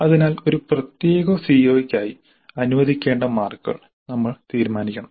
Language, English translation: Malayalam, So marks to be allocated to for COO for a particular COO that we must decide